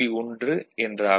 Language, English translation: Tamil, This is the 1